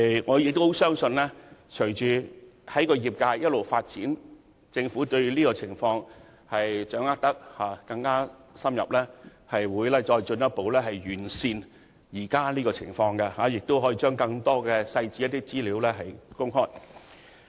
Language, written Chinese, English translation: Cantonese, 我相信隨着業界不斷發展，以及政府對有關情況有更深入的掌握時，當局會進一步完善現時情況，將更多細節和資料公開。, I trust that as the sector continues to develop and as the Government gains a better understanding of the situation the authorities will further enhance the practice by releasing more details and information